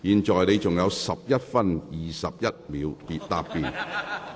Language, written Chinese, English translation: Cantonese, 梁國雄議員，你還有11分21秒答辯。, Mr LEUNG Kwok - hung you still have 11 minutes 21 seconds